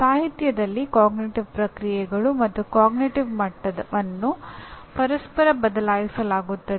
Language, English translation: Kannada, In literature cognitive processes and cognitive levels are used interchangeably